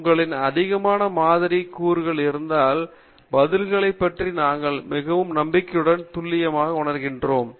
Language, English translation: Tamil, If you have more number of sample elements, more confident and precise we feel about the responses